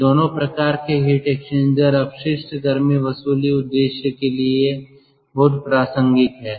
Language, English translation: Hindi, both this heat exchanger or both these type of heat exchangers are very, ah, relevant for waste heat recovery purposes